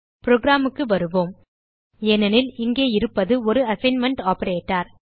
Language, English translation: Tamil, Come back to our program This is because here we have an assignment operator